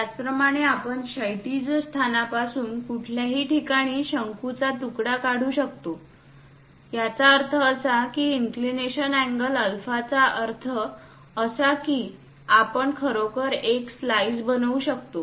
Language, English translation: Marathi, Similarly, one can slice this cone somewhere away from that horizontal location; that means with an inclination angle alpha, that also we can really make a slice